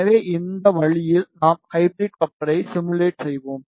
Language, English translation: Tamil, So, in this way we will simulate the hybrid coupler